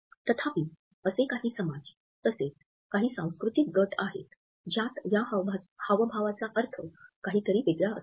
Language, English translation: Marathi, However, there are certain societal sections, as well as certain cultural groups in which this gesture means something opposite